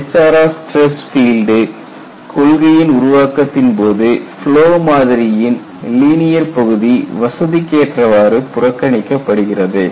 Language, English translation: Tamil, In the development of HRR stress field concept the linear portion of the flow model is conveniently ignored